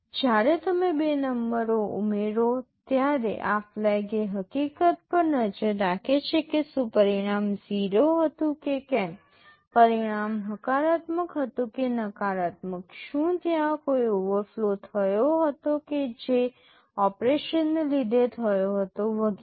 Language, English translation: Gujarati, When you add two numbers these flags will keep track of the fact whether the result was 0, whether the result was positive or negative, whether there was an overflow that took place because of that operation, etc